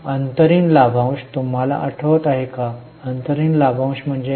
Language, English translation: Marathi, Do you remember what is interim dividend